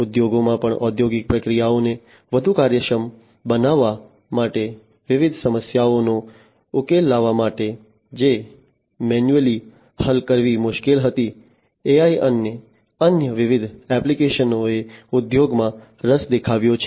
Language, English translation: Gujarati, In the industries also for making the industrial processes much more efficient, to solve different problems, which manually was difficult to be solved AI and different other applications have found interest in the industries